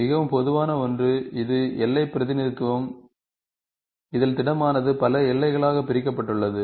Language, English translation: Tamil, The most common one, which is boundary representation, this is a solid, the solid is divided into several boundaries